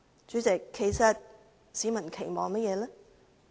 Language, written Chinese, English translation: Cantonese, 主席，其實市民有甚麼期望呢？, President actually what expectations do members of the public have?